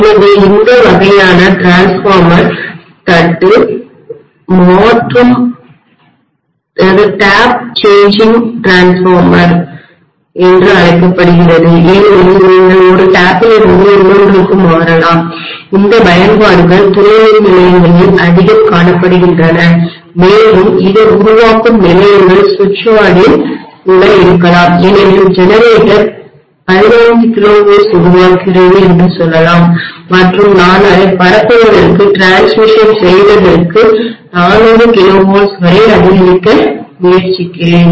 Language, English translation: Tamil, So this kind of transformer is also known as tap changing transformer because you may change from one tap to another these applications are very much prevalent in our substations and it may be there even in your generating stations switch yard because let us say my generator is generating 15 kilovolts and I am trying to step it up to 400 kilovolts for transmission